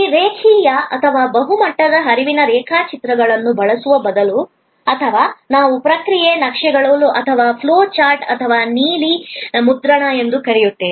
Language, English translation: Kannada, These instead of using this linear or multi level flow diagrams or what we call process maps or flow charts or service blue print